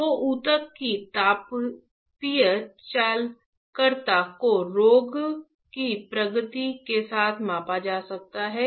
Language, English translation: Hindi, So, the thermal conductivity of the tissue can be measured with progression of the disease